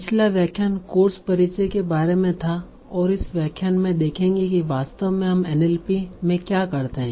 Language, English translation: Hindi, So in the last lecture we were we was about the course introduction and this lecture we will start seeing what do we actually do in NLP